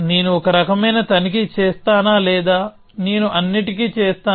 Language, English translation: Telugu, So, do I check for one sort or do I do for all